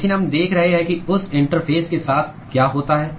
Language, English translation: Hindi, But we are looking at what happens with that interface